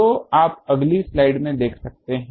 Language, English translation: Hindi, So, you can see to the next slide